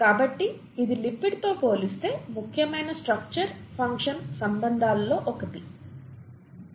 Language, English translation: Telugu, So this is one of the important structure function relationships compared to lipid